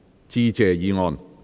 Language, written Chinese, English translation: Cantonese, 致謝議案。, Motion of Thanks